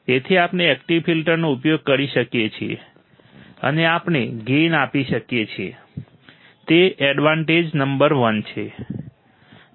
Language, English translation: Gujarati, So, we can use the active filter, and we can provide the gain, that is the advantage number one